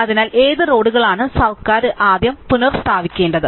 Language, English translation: Malayalam, So, given this which set of roads should the government restore first